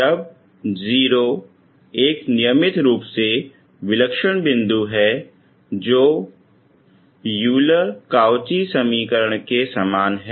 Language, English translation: Hindi, When 0 is a regular singular point the equation is much similar to Euler Cauchy equation